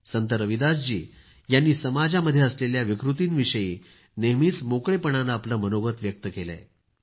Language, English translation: Marathi, Sant Ravidas ji always expressed himself openly on the social ills that had pervaded society